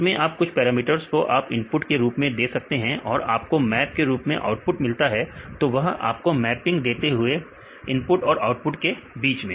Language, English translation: Hindi, And fits some of the parameters which you give the input and the map with this output; so, they will give the mapping between the input and the output